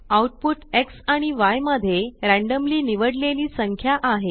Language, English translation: Marathi, Output is randomly chosen number between X and Y